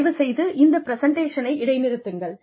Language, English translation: Tamil, Please, pause the presentation